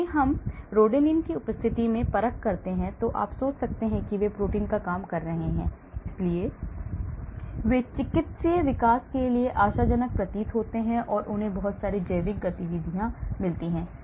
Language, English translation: Hindi, Whereas, when we do the assay in the presence of rhodanines, you may think they are acting on the protein, so they appear to be promising for therapeutic development and they seem to have a lot of biological activity